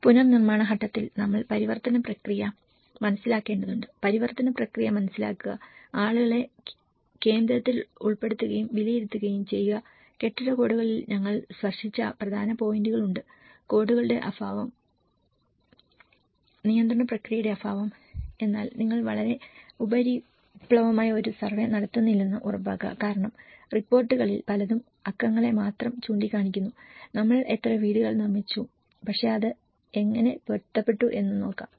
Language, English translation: Malayalam, And in the reconstruction phase we have to understand the transition process, understand the transition process, putting people in the centre and assessments there are important points which we touched upon the building codes, lack of codes, lack of the regulatory process but make sure that you donít do a very superficial survey because many of the reports only point on the numbers, how many houses we have built but we have to see how it has been adapted